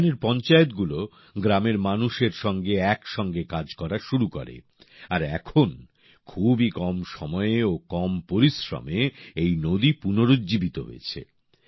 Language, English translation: Bengali, The panchayats here started working together with the villagers, and today in such a short time, and at a very low cost, the river has come back to life again